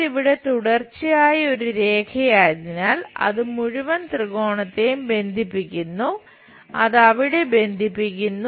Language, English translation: Malayalam, And because it is a continuous line here to there it connects the entire triangle, it connects there